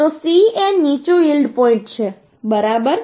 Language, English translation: Gujarati, So C is the lower yield point, right